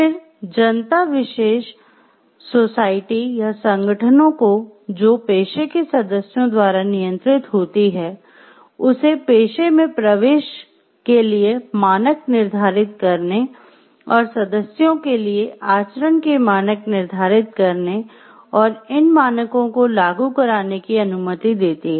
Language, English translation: Hindi, Then, the public allows special societies or organizations that are controlled by members of the professions to set standards for admission to the profession and to see to set standards of conduct for members and to enforce these standards